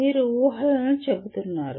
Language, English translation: Telugu, You are stating the assumptions